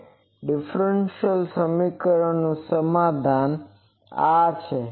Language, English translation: Gujarati, This differential equation its solution is this